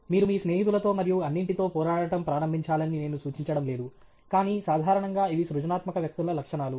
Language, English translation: Telugu, I am not suggesting it you that you should start fighting with your friends and all that, but generally these are the characteristics of creative people